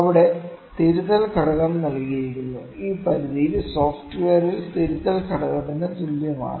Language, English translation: Malayalam, There the correction factor is given, that for this range in the software is equal to correction factor is given, ok